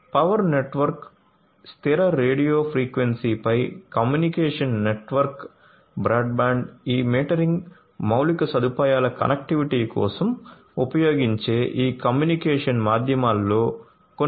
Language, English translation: Telugu, So, communication network broadband over power line, fixed radio frequency, you know these are some of these communication medium that are used for the connectivity of this metering infrastructure